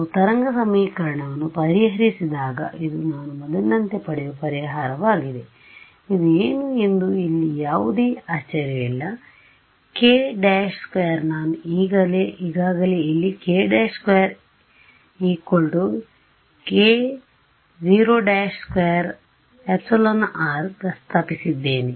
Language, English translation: Kannada, When I solve this wave equation this is a solution that I get as before right, no surprises over here what is this k prime squared I have already mentioned over here k prime squared is equal to k naught squared epsilon r prime right